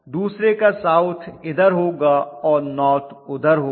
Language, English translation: Hindi, One is north on this side and south on the other side